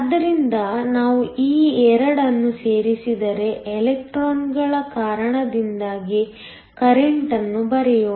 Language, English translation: Kannada, So if we add these 2, let me just write the current due to the electrons